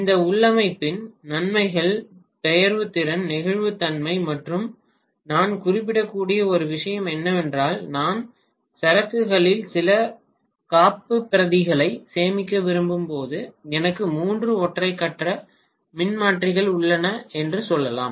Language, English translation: Tamil, I should say advantages of this configuration are portability, flexibility and one more thing I might mention is let us say I have three single phase transformer when I want to store some backup in the inventory